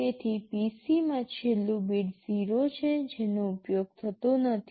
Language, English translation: Gujarati, So, in the PC, the last bit is 0 which is not used